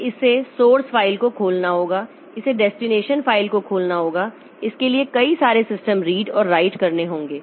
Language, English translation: Hindi, So, it has to open the source file, it has to open the destination file, it has to do a number of read and write system calls